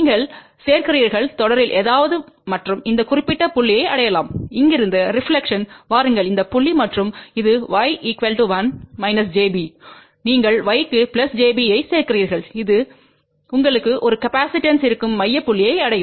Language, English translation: Tamil, You add something in series at and reach to this particular point from here take the reflection come to this point and this will be y equal to 1 minus j b you add plus j b to the y and that will be a capacitance you will reach to the center point